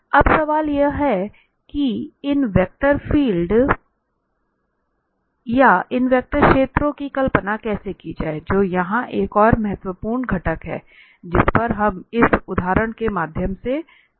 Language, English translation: Hindi, Now, the question is that how to visualize these vector fields that is another important component here which we will discuss through this example